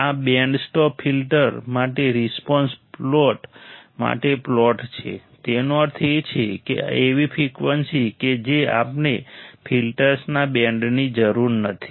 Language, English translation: Gujarati, This is the plot for response plot for band stop filter; that means, a frequency that we do not require band of frequency